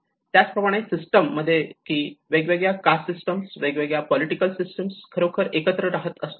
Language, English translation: Marathi, And similarly in a system like different cast systems, different political systems when they are actually living together